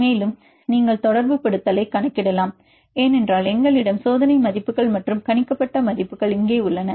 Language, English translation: Tamil, Also you can calculate the correlation because we have the experimental values here and the predicted values also here